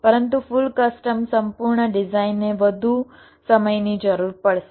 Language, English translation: Gujarati, but full custom, complete design, will require much more time